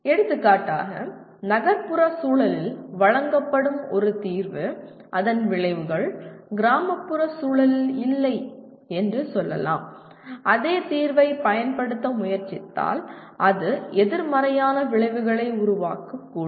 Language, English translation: Tamil, For example a solution that is offered let us say in an urban context may not be, the consequences of that if you try to apply the same solution in a rural context it may create a negative consequences